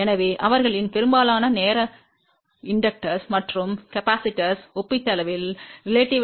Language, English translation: Tamil, So, we can say that most of their time inductors and capacitors are relatively lossless